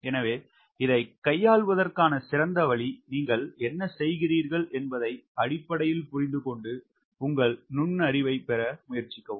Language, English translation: Tamil, so best way to handle this is understand fundamentally what you are doing and try to put your insight it